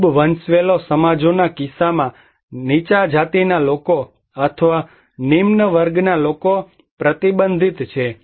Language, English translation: Gujarati, In case of very hierarchical societies, the low caste people or low class people are restricted